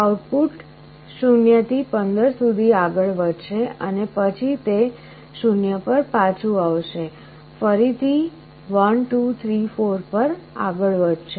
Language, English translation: Gujarati, The output will go step by step from 0 to 15 and then again it will go back to 0, again 1 2 3 4 like this